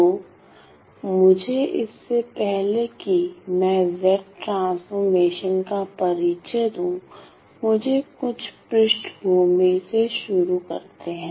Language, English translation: Hindi, So, let me before I introduce the definition of Z transform, let me start with some background